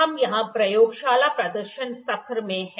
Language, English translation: Hindi, We are in the Laboratory demonstration session here